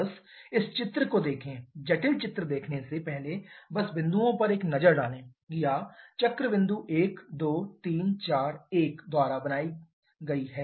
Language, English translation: Hindi, Just look at this diagram, before looking the complicated diagram just take a look at the points or the cycle formed by points 1 2 3 4 1